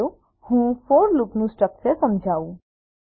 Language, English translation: Gujarati, Let me explain the structure of for loop